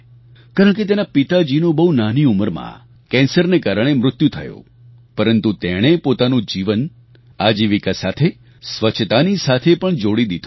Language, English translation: Gujarati, His father had died of cancer at a very young age but he connected his livelihood with cleanliness